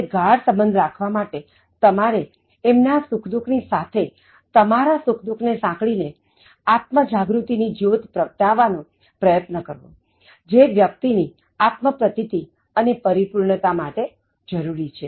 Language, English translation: Gujarati, Now while making deeper connections, you try to link you in terms of their happiness and sorrow by expressing your own happiness and sorrow and then trying to kindle the kind of self awareness that is required towards becoming a self actualized, self fulfilled, individual